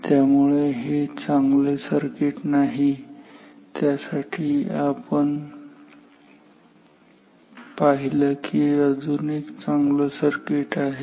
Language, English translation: Marathi, So, this is not a good circuit and therefore, we have seen there is a better circuit